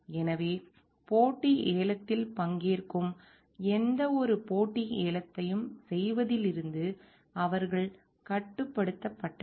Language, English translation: Tamil, So, they were restricted from doing any competitive bidding a participating in competitive bidding